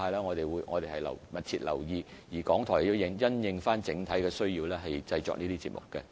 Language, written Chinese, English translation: Cantonese, 我們會密切留意傳媒生態的發展，而港台也會因應整體需要製作有關節目。, We will closely follow the development of the media ecology and RTHK will produce such programmes based on overall demand